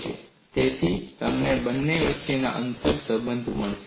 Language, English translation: Gujarati, So, you will get an inter relationship between the two